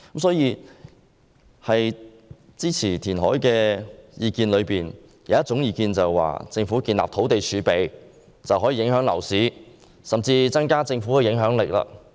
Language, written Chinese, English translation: Cantonese, 所以，在支持填海的意見當中，有一種意見認為，政府建立土地儲備便可以影響樓市，甚至增加政府的影響力。, Hence among those who support reclamation some think that by setting up a land reserve the Government may influence the property market and even enhance its own influence